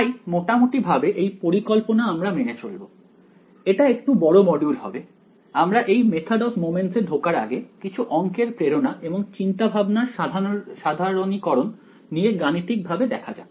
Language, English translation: Bengali, So roughly the layout that will follow, this is going to be a slightly lengthy module is before we get to actually before we get to the method of moments, we will look at some math motivation and generalization of the idea mathematically what it is